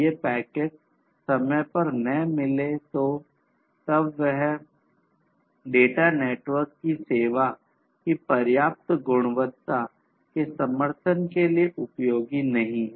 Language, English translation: Hindi, And, these packets if they do not receive if they are not received on time then that data is not going to be useful for supporting the adequate quality of service of the network